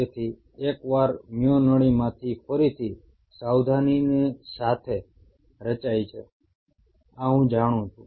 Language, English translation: Gujarati, So, once a myotube is formed, again with a word of caution, this is what I know